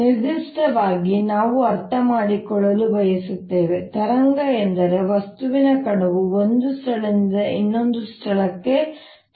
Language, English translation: Kannada, in particular, we want to understand: does a wave mean that a material particle moves from one place to another